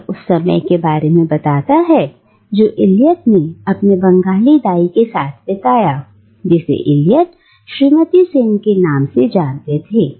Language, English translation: Hindi, And it tells of the time that Eliot spent with his Bengali babysitter that, whom Eliot only knows as Mrs Sen